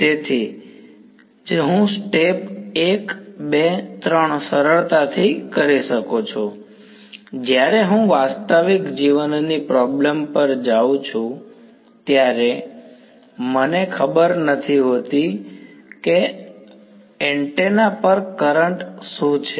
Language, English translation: Gujarati, So, that is why I can do step 1, 2, 3 easily, when I go to real life problems I actually do not know what is the current on the antenna itself